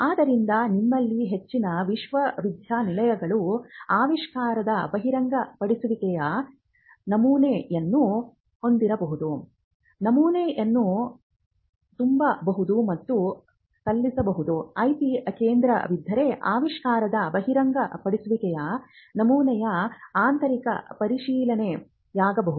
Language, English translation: Kannada, So, you have this most universities may have an invention disclosure form which can be filled and submitted so, they could be an internal scrutiny of the invention disclosure form if there is an IP centre or if there is no IP centre then that part is also sent off to a third party service provider